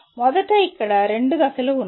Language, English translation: Telugu, First of all there are two steps here